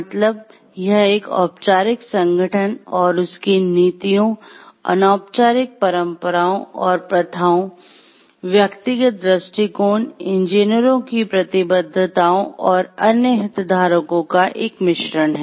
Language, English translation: Hindi, So, it is a blend of formal organization and its policies, informal traditions and practices, which have been followed and the personal attitudes and the commitments of the engineers and the other stakeholders